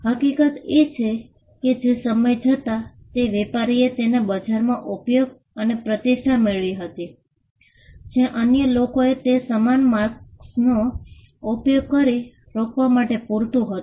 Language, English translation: Gujarati, The fact that the trader used it in the market over a period of time and gained reputation was enough to stop others from using similar marks